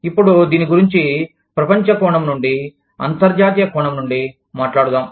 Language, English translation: Telugu, Now, let us talk about this, from a global perspective, from an international perspective